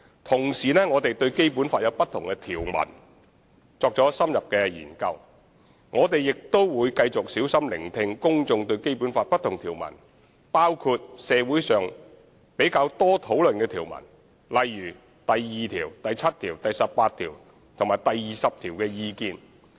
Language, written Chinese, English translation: Cantonese, 同時，我們會就《基本法》不同條文作出深入研究，亦會繼續小心聆聽公眾對《基本法》不同條文的意見，包括社會上較多討論的條文如第二、七、十八及二十條。, In the meantime we will conduct in - depth studies on different Basic Law provisions and continue to listen carefully to public views on various provisions of the Basic Law including the more frequently discussed ones in society such as Articles 2 7 18 and 20